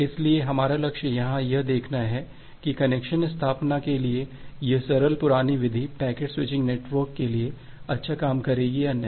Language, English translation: Hindi, So, our target is to look here, that this simple primitive for connection establishment whether this will work good for a packet switching network or not